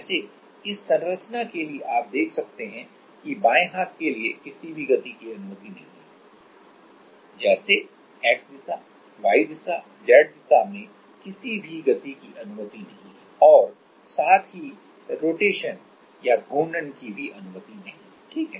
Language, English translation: Hindi, Like for this structure you can see that for the left hand side there is no motions are allowed like X direction Y direction Z direction no motion are allowed as well as rotations are also not allowed, right